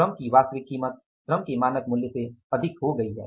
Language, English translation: Hindi, Actual price of the labour has exceeded the standard price of the labour